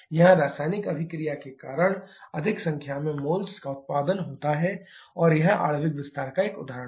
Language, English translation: Hindi, Here more number of moles produced because of the chemical reaction and this is an example of molecular expansion